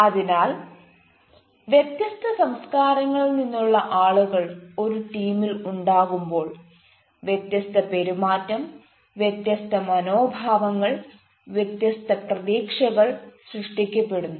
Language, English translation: Malayalam, ah, so when people from different cultures have different, different behavior, they have different attitudes, they have different expectations